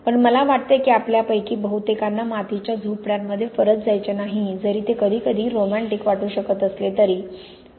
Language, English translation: Marathi, But I think most of us do not really want to go back to live in mud huts however romantic it may seem occasionally